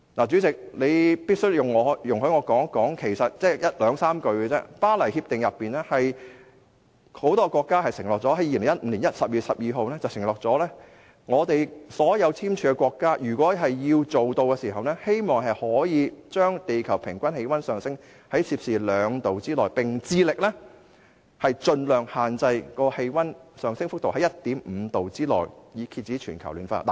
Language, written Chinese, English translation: Cantonese, 主席，你必須容許我說一件事，只有兩三句話：很多國家在2015年12月12日通過的《巴黎協定》中承諾，所有簽署國的目標是把全球平均氣溫升幅控制在低於攝氏兩度之內，並致力將氣溫升幅限制在攝氏 1.5 度之內，以遏止全球暖化。, President you must allow me to talk about one thing and I will be very brief . As undertaken by many countries in the Paris Agreement adopted on 12 December 2015 all signatories aim to hold the increase in the global average temperature to well below 2°C and pursue efforts to limit the temperature increase to 1.5°C so as to curb global warming